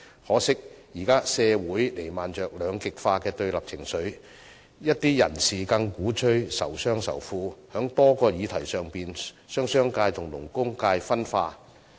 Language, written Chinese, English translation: Cantonese, 可惜的是，社會現時彌漫着兩極化的對立情緒，一些人士更鼓吹仇商仇富，在多項議題上將商界與勞工界分化。, Regrettably society now sees the prevalence of polarized and confrontational sentiments . Worse still some people even instigate hostility to the business sector and the rich and also schism between the business sector and the labour sector on various issues